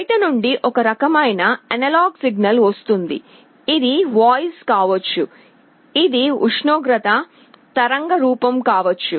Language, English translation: Telugu, There is some analog signal which is coming from outside, this can be a voice, this can be a temperature waveform